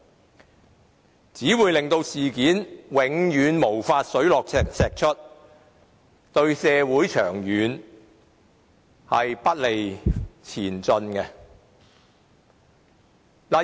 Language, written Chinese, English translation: Cantonese, 這樣只會令事件永遠無法水落石出，不利於社會的長遠前進。, In that case the truth will never be uncovered which is unfavourable to the long - term development of society